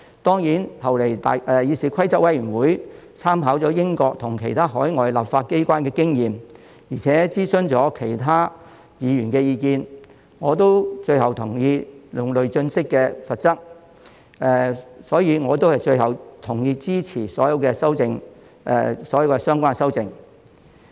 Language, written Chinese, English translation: Cantonese, 當然，後來議事規則委員會參考了英國及其他海外立法機關的經驗，而且諮詢了其他議員的意見，最後，我亦同意用累進式的罰則，所以，最後我同意支持所有相關的修訂。, Of course the Committee on Rules of Procedure has subsequently taken reference of the experience of the United Kingdom and other overseas legislatures and consulted other Members . Eventually I also agreed with the progressive penalty system . For that reason I finally agree to support all of the amendments